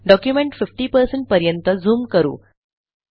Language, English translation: Marathi, Let us zoom the document to 50%